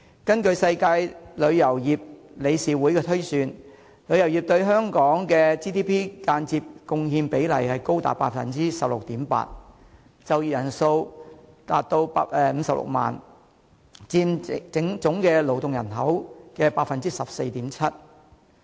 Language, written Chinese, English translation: Cantonese, 根據世界旅遊業理事會推算，旅遊業對香港的 GDP 的間接貢獻比例高達 16.8%， 就業人數達56萬人，佔總勞體人口 14.7%。, According to the World Travel and Tourism Council tourism indirectly contributes as much as 16.8 % to GDP in Hong Kong and employs a workforce of 560 000 accounting for 14.7 % of the total working population